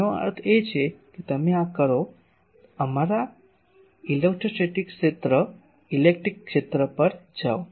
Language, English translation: Gujarati, That means, you do this go to our electrostatic field electric field